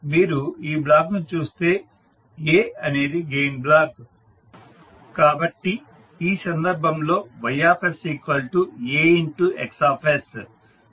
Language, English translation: Telugu, So, if you see this particular block, A is the gain block, so the Ys will be A into Xs in this case